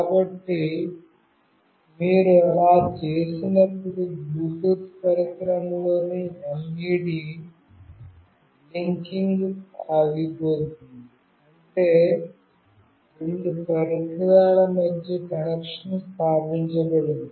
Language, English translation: Telugu, So, when you do that, the LED in the Bluetooth device will stop blinking, that means the connection between the two device has been established